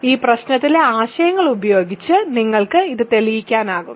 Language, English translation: Malayalam, Using the ideas in this problem, you can prove this